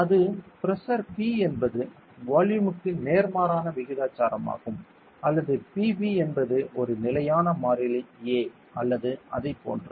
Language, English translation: Tamil, That is to say that pressure P is inversely proportional to the volume or P V is a constant a or like that